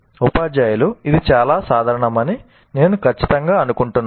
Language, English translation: Telugu, I'm sure that teachers find it very common